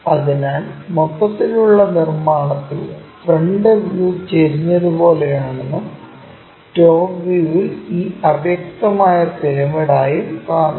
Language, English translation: Malayalam, So, the overall construction gives us the front view looks like an inclined one and the top view makes this obscured kind of pyramid